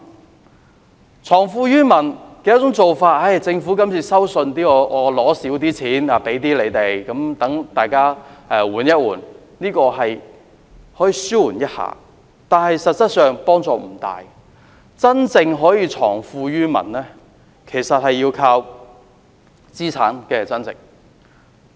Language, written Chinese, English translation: Cantonese, 而政府藏富於民的其中一種做法，便是今次稅收收少一些，給市民一些寬免，讓大家歇一歇，這可以紓緩市民一點負擔，但實質幫助不大，真正可以藏富於民的做法，其實要靠資產增值。, A way for the Government to leave wealth with the people is to like the present proposal demand less tax from the people and give them some tax concession so as to give them a break . In so doing the Government can relieve a bit of their burden . But the help is not big in material sense